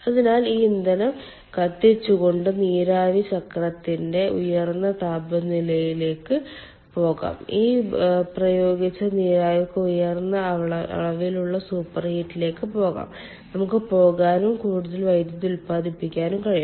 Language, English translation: Malayalam, so you see, the steam cycle efficiency can be increased by burning this fuel because we can go for higher temperature of the steam cycle, higher degree of superheat for this applied steam we can go and more power we can generate